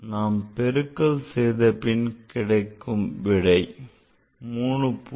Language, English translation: Tamil, So, here after multiplication we got the result what 3